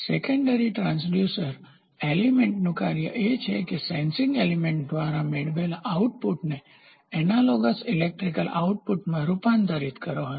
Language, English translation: Gujarati, A secondary transducer is the function of the transducer element is to transform the output obtained by the sensing element to an analogous electrical output